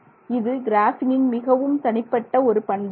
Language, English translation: Tamil, So, that is a very interesting property again unique to graphine